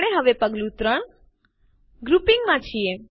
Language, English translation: Gujarati, We are in Step 3 Grouping